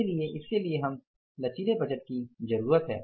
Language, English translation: Hindi, So, for that we need the flexible budget